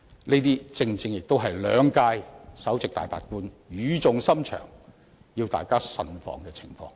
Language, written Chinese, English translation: Cantonese, 這正正是兩屆首席大法官語重深長地要大家慎防的情況。, This is precisely the situation that the Chief Justices of two terms of Government had sincerely reminded us to watch out